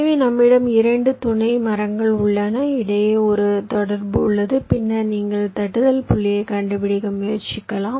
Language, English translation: Tamil, that means: ah, you have two subtrees, ah, there is a connection between then you are trying to find out the tapping point